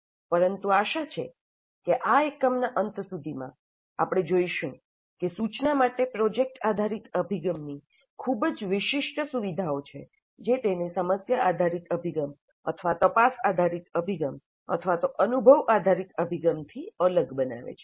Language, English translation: Gujarati, But hopefully at the end of this unit, you will see that there are very distinctive features of project based approach to instruction which makes it different from problem based approach or inquiry based approach or even experience based approach